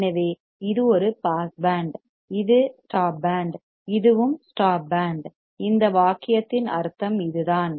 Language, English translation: Tamil, So, this is a pass band, and this is the stop band, this is also stop band, this is what it means by this sentence